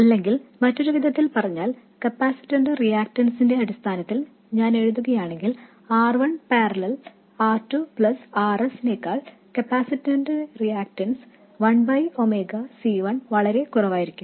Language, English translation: Malayalam, Or in other words if I write it in terms of the reactance of the capacitor I will have the reactance of the capacitor 1 by omega C1 much smaller than R1 parallel R2 plus RS